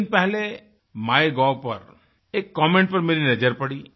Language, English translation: Hindi, I happened to glance at a comment on the MyGov portal a few days ago